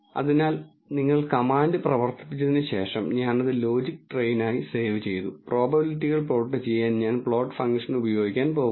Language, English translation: Malayalam, So after you run the command I have saved it as logistrain and I am going to use the plot function to plot the probabilities